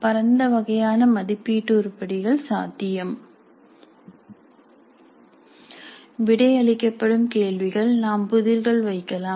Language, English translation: Tamil, A wide variety of assessment items are possible, questions to be answered, quizzes we can have